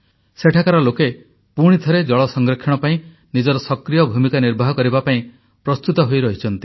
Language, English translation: Odia, The people here, once again, are ready to play their active role in water conservation